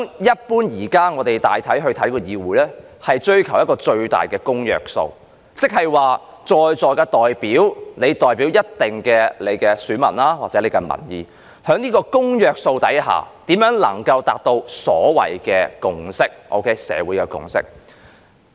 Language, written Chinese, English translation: Cantonese, 一般對議會的看法是，大家追求一個最大公約數；即議事堂上的代表，各自代表着一定的選民數目或民意，在這個公約數下，大家如何能夠達到共識或社會共識？, The general notion about the legislature is that Members are looking for the greatest common divisor . In other words each representative in the Council is representing a certain number of voters or a certain public opinion . In the pursuit of the greatest common divisor how can Members reach a consensus or a community consensus?